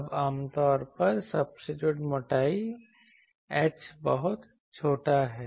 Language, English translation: Hindi, Now, usually the substrate thickness h is very small